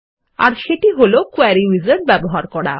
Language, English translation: Bengali, And that is by using a Query Wizard